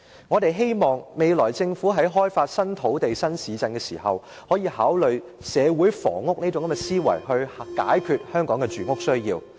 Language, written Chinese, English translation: Cantonese, 我們希望政府未來開發新土地及新市鎮時，可以考慮社會房屋這種概念，以解決香港的住屋需要。, We hope that when the Government develops new land and new towns in the future it will consider using the concept of social housing to meet the housing needs of Hong Kong